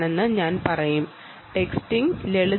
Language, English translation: Malayalam, texting is simple